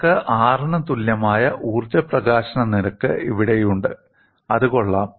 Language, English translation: Malayalam, There again, you find energy release rate equal to R